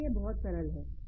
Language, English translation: Hindi, So, that makes it very easy